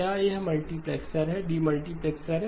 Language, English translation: Hindi, Is it multiplexer, demultiplexer